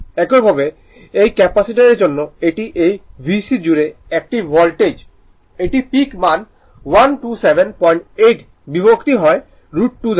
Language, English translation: Bengali, Similarly, for this capacitor it is a voltage across this VC, it is the peak value 127